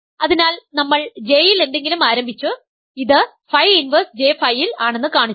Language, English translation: Malayalam, So, we started with something in J and we showed that its in phi inverse phi J